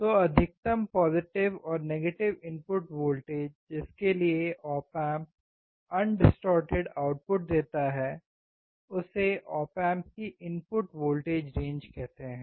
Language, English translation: Hindi, So, the maximum positive and negative input voltage that can be applied so that op amp gives undistorted output is called input voltage range of the op amp